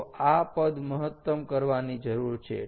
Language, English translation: Gujarati, ok, this quantity needs to be maximized